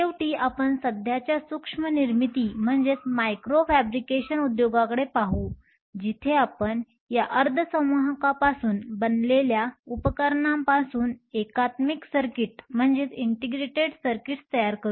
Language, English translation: Marathi, Finally, we will look at the current micro fabrication industry, where we will form integrated circuits made of these devices from semiconductors